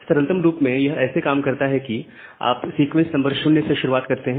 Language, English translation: Hindi, So, just for simplicity of explanation we are starting with sequence number 0